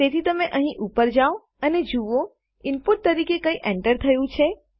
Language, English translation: Gujarati, So you go up to here and see if anything has been entered as input